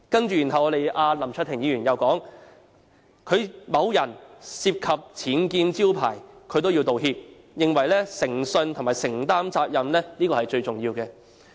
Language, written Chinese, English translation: Cantonese, 接着林卓廷議員又說，某人涉及僭建招牌也要道歉，並認為誠信和承擔責任最重要。, Mr LAM Cheuk - ting then went on to say that the person who was involved in the erection of unauthorized signboards had to apologize as well because he held that integrity and accountability were of paramount importance